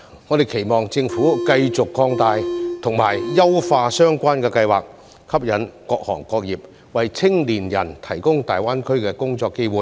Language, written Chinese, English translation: Cantonese, 我們期望政府繼續擴大和優化相關計劃，吸引各行各業為青年人提供大灣區的工作機會。, We hope that the Government will continue to expand and enhance the Scheme so as to attract various industries and trades to provide job opportunities in GBA for young people